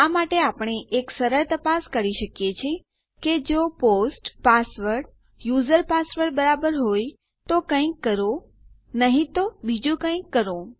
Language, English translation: Gujarati, We can do a simple check to say if the post password is equal to our user password then do something otherwise do something else